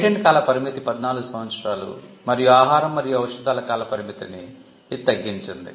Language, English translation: Telugu, The term of a patent was 14 years and the term of a patent for a food medicine or drug was a shorter period